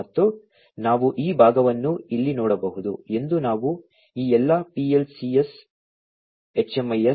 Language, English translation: Kannada, And, as we can see over here this part we have all these PLCS, HMIS, SCADA etcetera